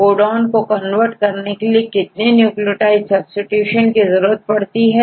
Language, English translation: Hindi, So, how many nucleotide substitutions are necessary to convert a codon to an amino acid right